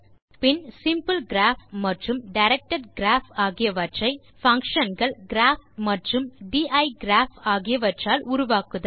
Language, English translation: Tamil, then create both a simple graph and a directed graph, using the functions graph and digraph respectively